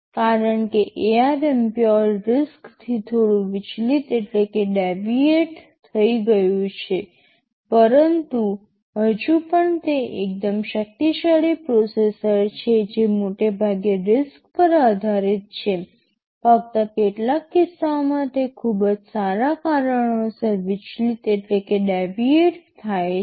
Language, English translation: Gujarati, Because of these so ARM has deviated slightly from the pure RISC you can say category, but still it is a fairly powerful processor mostly based on riscRISC, only for a few cases it deviates because of very good reasons of course